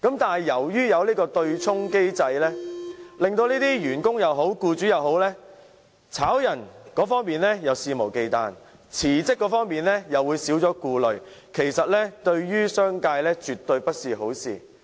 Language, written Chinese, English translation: Cantonese, 但是，由於有對沖機制，無論是員工或僱主，解僱一方會肆無忌憚，辭職一方又會少了顧慮，對商界也絕非好事。, But given the offsetting mechanism employers are unrestrained in dismissing their employees whereas employees have less worries about resignation and this is absolutely not a good thing to the business sector